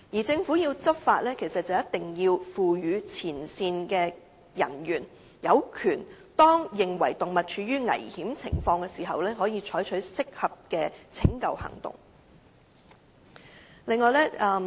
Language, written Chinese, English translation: Cantonese, 政府要執法便一定要賦予前線人員相關的權力，好讓他們在認為動物處於危險情況時，可以採取適當的拯救行動。, In order for the Government to enforce the law it should confer the relevant powers on frontline officers so that they can take appropriate rescue actions on animals in danger